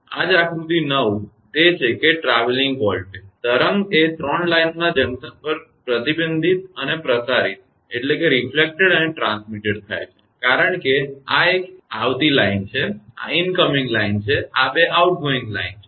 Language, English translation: Gujarati, That is why figure 9, that is see the traveling voltage wave reflected and transmitted at junction of 3 lines because this is a is incoming line, this is incoming line and these 2 are outgoing line